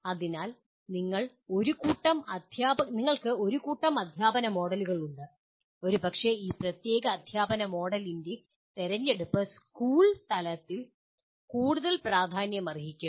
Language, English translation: Malayalam, So you have a bunch of teaching models and maybe different these choice of this particular teaching model will become important more at school level